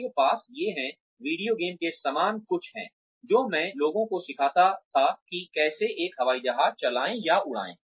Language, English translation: Hindi, You have these, something similar to video games, that I used to teach people, how to drive an, or how to fly an Airplane